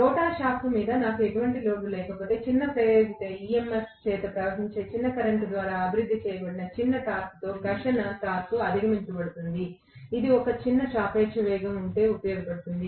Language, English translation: Telugu, If I do not have any load on the rotor shaft the frictional torque will be overcome with the small torque developed by a small current flowing by a small induced EMF, which will come in handy if there is a small relative velocity